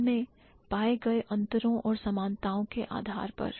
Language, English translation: Hindi, On the basis of the differences that they have and similarities that they have